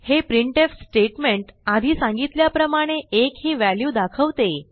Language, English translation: Marathi, This printf statement outputs the value of 1 as explained previously